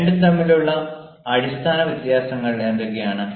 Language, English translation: Malayalam, what are the basic differences between the two